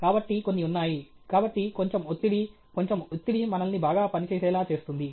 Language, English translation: Telugu, So, there’s some… So, a little amount of pressure, a little amount of stress will make us work better okay